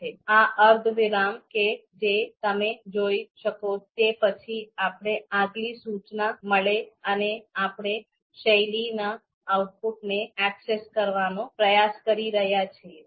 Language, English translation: Gujarati, And will this semicolon that you see, this is after the semicolon we get the next instruction which is nothing but we are trying to view the access the output of style